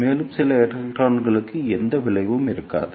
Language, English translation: Tamil, And there will be no effect for some electrons